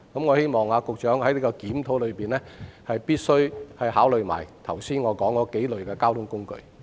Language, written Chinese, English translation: Cantonese, 我希望局長在檢討時考慮我剛才提及的數類交通工具。, During the review I hope the Secretary will consider the modes of transport that I just mentioned